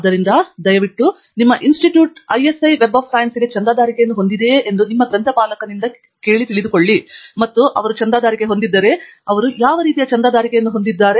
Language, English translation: Kannada, So, please do ask your librarian whether your institute has a subscription for ISI Web of Science, and if they do have, then what kind of a subscription they have